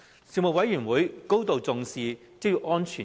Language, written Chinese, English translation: Cantonese, 事務委員會高度重視職業安全。, The Panel attached a great deal of importance to occupational safety